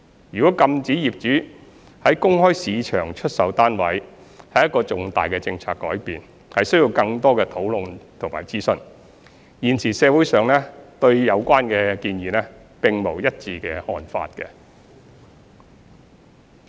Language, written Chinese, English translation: Cantonese, 若禁止業主在公開市場出售單位，是重大的政策改變，需要更多的討論和諮詢，現時社會上對有關建議並無一致的看法。, It would be a major policy change if owners are barred from reselling their flats in the open market for which further discussion and consultation would be necessary . There is currently no public consensus on the relevant suggestion